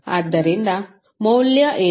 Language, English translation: Kannada, So, what would be the value